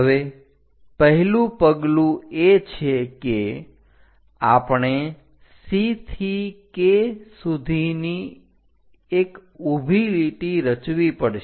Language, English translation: Gujarati, Now, the first step is from C all the way to K; we have to construct a vertical line